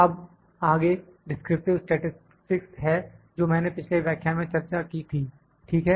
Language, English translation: Hindi, Now, next is the descriptive statistics I have discussed in the previous lecture, ok